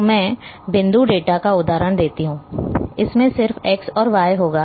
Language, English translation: Hindi, So, I give the example of point data, it will have just x and y